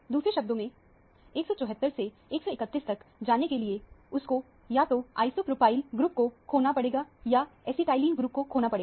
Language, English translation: Hindi, In other words, it should be losing either an isopropyl group or an acetylene group to go from 174 to 131